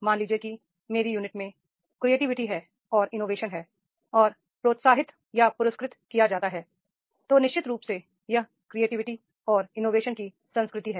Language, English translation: Hindi, Suppose there is a creativity and innovation or encouraged or rewarded in my unit, then definitely there is a culture of creativity and innovation